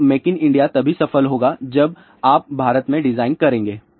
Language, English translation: Hindi, So, make in India will be only successful if you do design in India